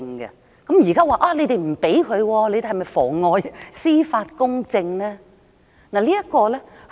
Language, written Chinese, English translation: Cantonese, 現在你們不容許他上庭，是否妨礙司法公正呢？, Are you obstructing justice by not letting him appear in court?